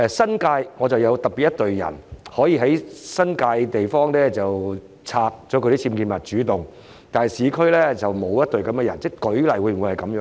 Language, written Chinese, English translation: Cantonese, 當局會否有特別隊伍在新界地方主動清拆僭建物，但在市區則不作這樣的安排，是否這樣呢？, Do the authorities have special teams to remove UBWs on their own initiatives in the New Territories but not in the urban areas? . Is that really the case?